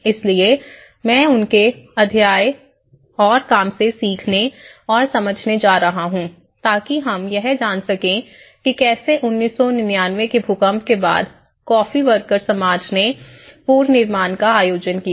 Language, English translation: Hindi, So, I am going to take the learnings and understandings from his narratives and from his work and so, that we can learn how the coffee workers society, how they all have organized the reconstruction after the earthquake of 1999